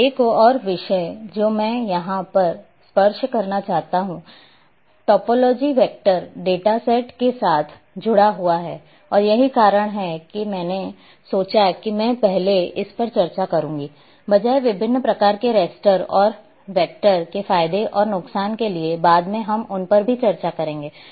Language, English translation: Hindi, Now another topic which I want to touch upon here about the topology which is associated with vector data sets and that is why I thought that I will discuss first this one, rather than going for different types of raster, advantages and disadvantages raster, and vector and later on we will discuss them as well